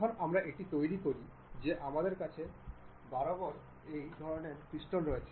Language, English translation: Bengali, When we construct that we have this object repeated kind of pattern